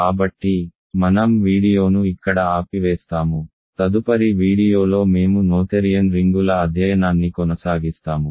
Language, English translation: Telugu, So, let me stop the video here, in the next video we will continue our study of noetherian rings